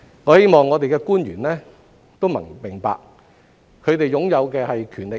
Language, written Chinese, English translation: Cantonese, 我希望我們的官員都明白，他們擁有的是權力。, I hope the officials of our Government understand the fact that what they have got is power